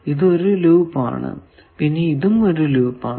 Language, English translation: Malayalam, So, this is a loop again, this is not a loop now